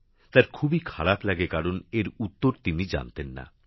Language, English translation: Bengali, He felt very bad that he did not know the answer